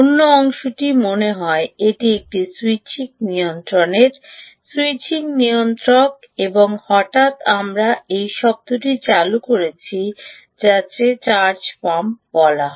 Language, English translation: Bengali, the other part seems to be that of a switching regulator, right switching regulator and suddenly we have also introduced this term which is called a charge pump